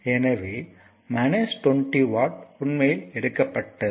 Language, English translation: Tamil, So this is actually took minus 20 watt and minus 20 watt